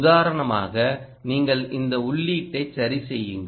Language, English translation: Tamil, for instance, you change this input